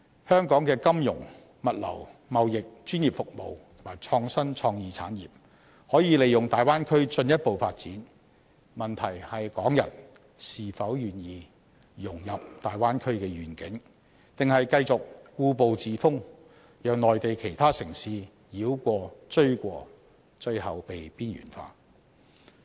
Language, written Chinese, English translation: Cantonese, 香港的金融、物流、貿易、專業服務及創新創意產業，可以利用大灣區進一步發展，問題是港人是否願意融入大灣區的願景，還是繼續故步自封，讓內地其他城市繞過、追過，最後被邊緣化？, The industries of finance logistics trading professional services and innovation and technology in Hong Kong can capitalize on the Bay Area for further development but are Hong Kong people willing to embody the visions of the Bay Area or will they remain complacent and conservative and let Hong Kong be overtaken and eventually be marginalized by other Mainland cities?